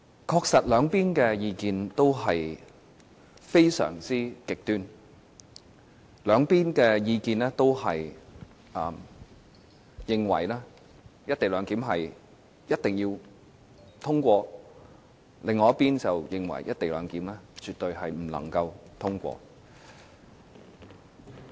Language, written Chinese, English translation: Cantonese, 確實，兩方的意見也非常極端：這一邊的意見認為"一地兩檢"一定要通過，另一邊的意見則認為"一地兩檢"絕對不能通過。, Indeed the views held by the two sides are poles apart . One side insists that the co - location arrangement must be passed but the other side maintains that the arrangement must not be approved